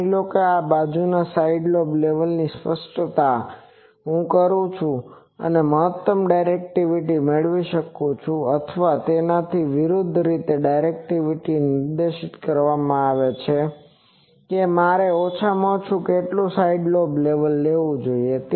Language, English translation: Gujarati, Suppose, I am specifying side lobe levels what is the maximum directivity I can obtain or conversely if the directivity is specified what is the minimum side lobe level I should suffer